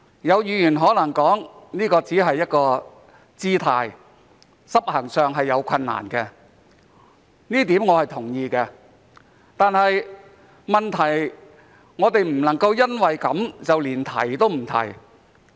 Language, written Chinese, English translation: Cantonese, 有議員可能說這只是一個姿態，執行上會有困難，這一點我是同意的，但問題是我們不能夠因為這樣便提也不提。, Some Members may say that this is only a gesture and is difficult to be implemented . While I agree with this the point is that we cannot remain silent on this issue for this reason